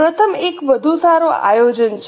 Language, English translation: Gujarati, The first one is better planning